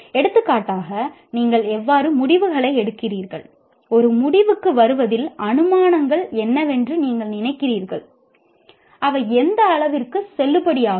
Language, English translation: Tamil, Looking at, for example, how do you draw conclusions, how do you, what do you think are the assumptions in coming to a conclusion and to what extent they are valid